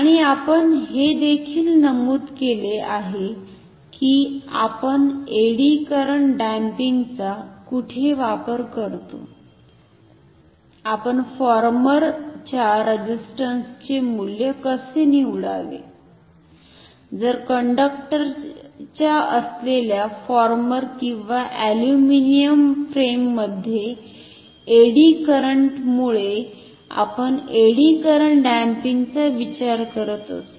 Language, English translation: Marathi, And we have also mentioned in particular where we use eddy current damping, how should we choose the value of the resistance of say the former, if we are considering the eddy current damping due to the eddy current in the former or the aluminum frame on which the conductors are owned